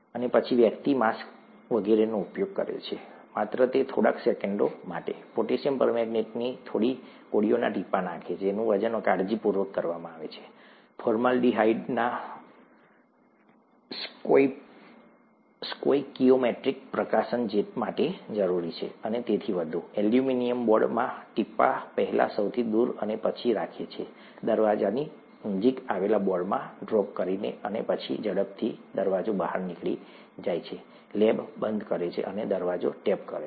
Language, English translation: Gujarati, And then, the person uses a mask and so on, just for those few seconds, drops a few pellets of potassium permanganate, that are carefully weighed out for, required for the stoichiometric release of formaldehyde and so on, drops in the aluminum boards, farthest first, and then keeps dropping in the boards that are closer to the door, and then quickly walks out the door, shuts the lab, and tapes the door shut